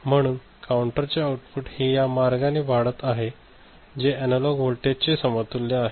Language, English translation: Marathi, So, the counter output is actually going in this direction to come up with the digital equivalent of the analog input